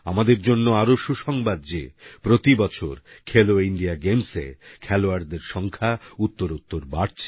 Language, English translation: Bengali, It is very pleasant for all of us to learn that the participation of athletes in 'Khelo India Games' is on the upsurge year after year